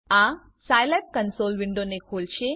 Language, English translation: Gujarati, This will open the Scilab console window